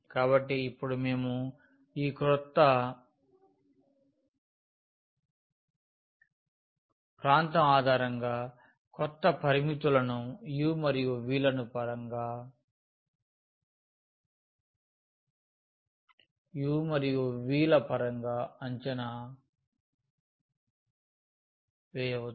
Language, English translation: Telugu, So, now we can evaluate the new limits based on this new region in terms of u and v